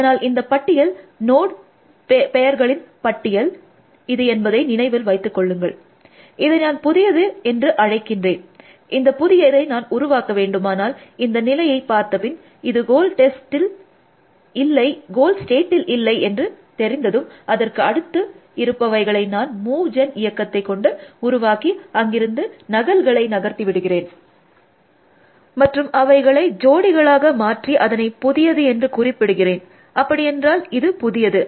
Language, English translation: Tamil, So, this list, number this is the list of node pairs, I am calling new, and this I went to a generate this new, when I have inspecting the state, found that it is not the goal state generated it is successors calling the move gen function, moved duplicates from there, made pairs and call this a new, so this is new